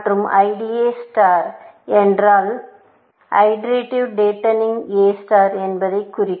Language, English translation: Tamil, And IDA stands, IDA star stands for iterative datening A stars